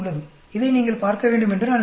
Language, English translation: Tamil, I want you to see this